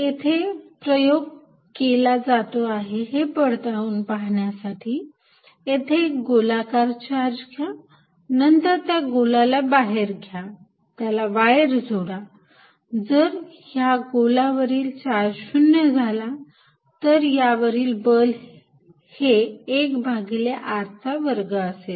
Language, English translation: Marathi, So, the experiment that is done to check this is precisely this you take a sphere charge it and then take a sphere outside and connect by wire, if the charge on this is sphere becomes is 0, I know the force field is 1 over r square